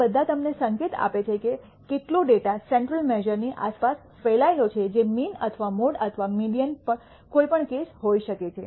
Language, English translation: Gujarati, All of these give you indication of how much the data is spread around the central measure which is the mean or the mode or the median as the case may be